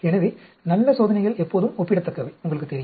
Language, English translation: Tamil, So, good experiments are always comparative, you know